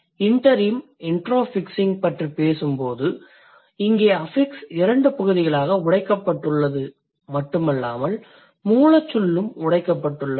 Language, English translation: Tamil, So, the third one when we are talking about the intro fixing, here not only the affix has been broken into two parts, but also the root word has been broken